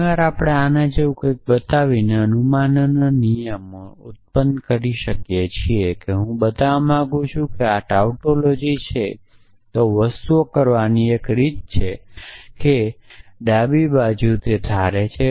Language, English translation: Gujarati, Very often, we can generate rules of inference by showing something like this supposing I want to show that this is a tautology then one way of doing things is to assume the left hand side